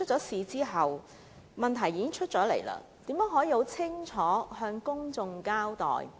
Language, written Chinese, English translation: Cantonese, 事發後，問題被揭露，政府應如何向公眾清楚交代？, How should the Government give a clear account to the public following the disclosure of the problems?